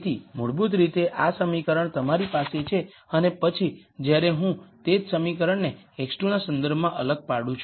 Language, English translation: Gujarati, So basically this equation you have and then when I differentiate the same expression with respect to x 2